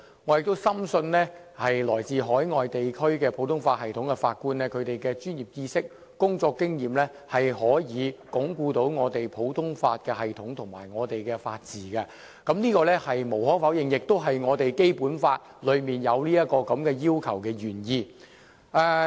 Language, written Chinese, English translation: Cantonese, 我亦深信來自海外地區普通法系統的法官憑其專業知識和工作經驗可以鞏固我們的普通法系統及法治，這是無可否認的，亦是《基本法》中訂明這項要求的原意。, I trust Judges from overseas common law jurisdictions can consolidate our common law system and rule of law with their professional knowledge and working experience . This is undeniable . It is also the original intent of such a requirement set out in the Basic Law